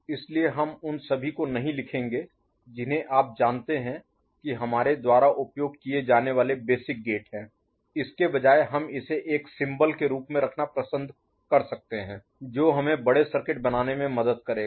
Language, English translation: Hindi, So, we will not write all those you know basic gates that we have used, instead we can prefer to put it in the form of a symbol which will help us in making bigger circuits, ok